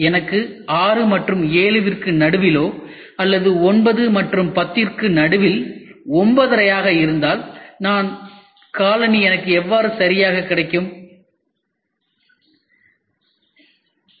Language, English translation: Tamil, If I have a size between 6 and 7 or 9 and 10, 9 and a half, then How is my shoe going to take care of it